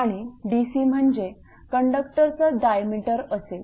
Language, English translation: Marathi, And dc is diameter of conductor in millimeter right